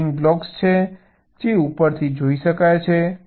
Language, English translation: Gujarati, ceiling contains the blocks which can be seen from the top